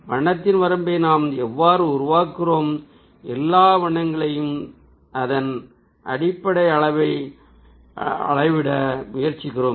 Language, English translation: Tamil, so that's how we ah create the range of color and we ah try to measure all colors ah on the basis of that